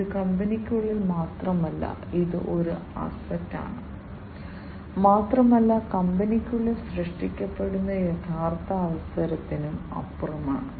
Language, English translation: Malayalam, And this is not only within the company that it is an asset, but also beyond the actual opportunity that is created within the company